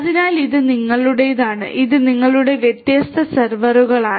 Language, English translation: Malayalam, So, this is your to TOR and these are your different servers